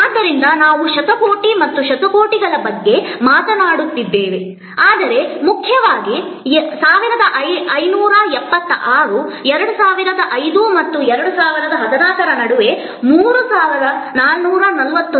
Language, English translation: Kannada, So, we are talking about billions and billions, but most importantly 1576 growing to 3441 between 2005 and 2014